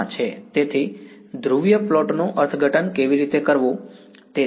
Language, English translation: Gujarati, So, that is just how to interpret a polar plot